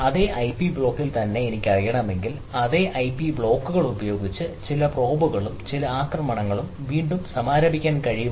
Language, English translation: Malayalam, if i know that in the same ip block, then whether it is possible to launch again some of the probes and some of the attacks with the same ip blocks, right